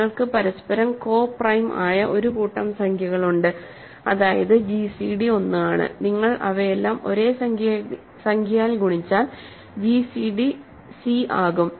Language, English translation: Malayalam, So, you have a bunch of integers who are co prime to each other that means, the gcd is 1, you multiply all of them by the same integer the gcd become c